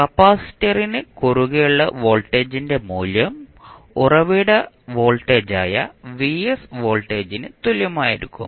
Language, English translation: Malayalam, The value of voltage across capacitor would be equal to the voltage vs that is the source voltage